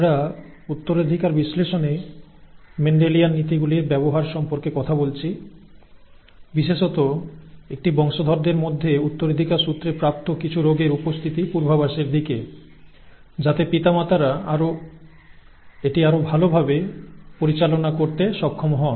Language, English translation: Bengali, We have been talking about the use of Mendelian principles to analyse inheritance especially toward prediction of the occurrence of a of some inherited disease in an offspring, so that the parents would be able to handle it better